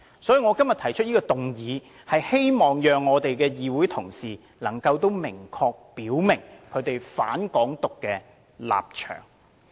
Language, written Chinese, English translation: Cantonese, 所以，我今天提出議案，希望議會同事能夠明確表明他們"反港獨"的立場。, Hence today I have proposed this motion and hope that Honourable colleagues in the Council can clearly state their stance against Hong Kong independence